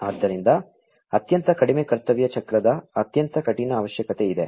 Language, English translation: Kannada, So, there is a very stringent requirement of very low duty cycle